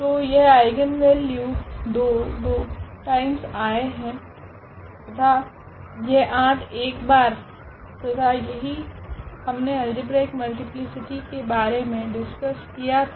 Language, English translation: Hindi, So, this eigenvalue 2 is repeated 2 times and this 8 is repeated 1 times, and exactly that is what we have discussed about this algebraic multiplicity